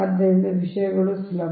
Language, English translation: Kannada, so things are easy, right